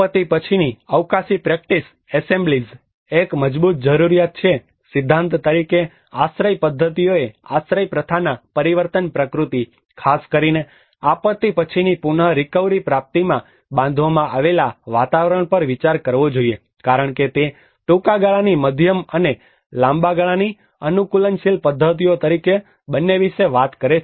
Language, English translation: Gujarati, Post disaster spatial practice assemblages; there is a strong need that architecture as a theory has to contemplate on the transformation nature of the shelter practices, the built environment especially in the post disaster recovery because it talks about both as a short term the medium and long term adaptive practices